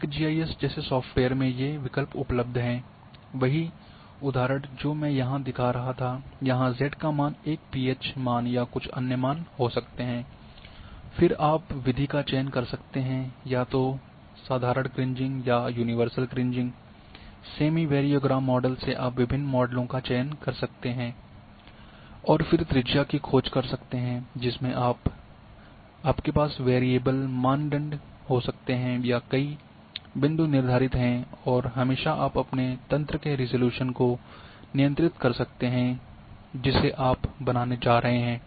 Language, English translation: Hindi, In a in a software's like ArcGIS these are the options which are available same example which I was showing here, z value you can have here a pH value or some other value then you can choose the method either ordinary Kriging or universal Kriging, semi variogram model you can choose various models and then search radius you can have variable or a number of points are fixed and always you can control the resolution of your grid which you are going to create